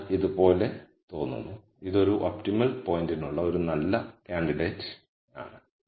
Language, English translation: Malayalam, So, it looks like this, this is a good candidate for an optimum point